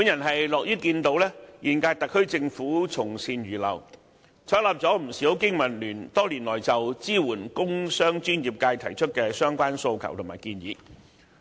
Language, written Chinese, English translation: Cantonese, 我樂看現屆特區政府從善如流，採納了不少香港經濟民生聯盟多年來就支援工商專業界提出的相關訴求和建議。, I am pleased that the incumbent SAR Government has taken on board good advice and accepted many demands and proposals put forward by the Business and Professionals Alliance for Hong Kong over the years in support of the industrial commercial and professional sectors